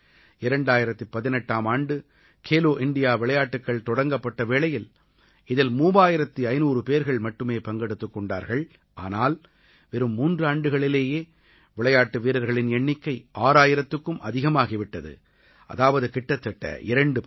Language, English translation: Tamil, I wish to tell all of you that in 2018, when 'Khelo India Games' were instituted, thirtyfive hundred players took part, but in just three years the number of players has increased to more than 6 thousand, which translates to the fact that it has almost doubled